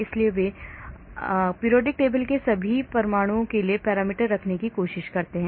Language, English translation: Hindi, so they try to have parameters for all the atoms in the periodic table